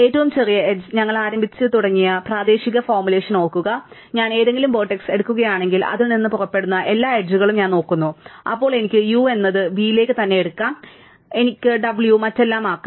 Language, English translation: Malayalam, Recall that narrow regional formulation we started with the smallest edge, but now it is easy to see that if I take any vertex, right and I look at all the edges going out of it, then I can take u to v the vertex itself and I can take w to be everything else, the set minus this vertex